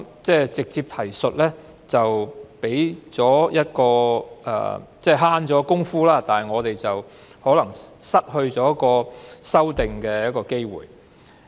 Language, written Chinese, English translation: Cantonese, 直接提述可以節省工夫，但卻有可能失去提出修訂的機會。, While making direct references can save efforts the opportunity to propose amendments may be missed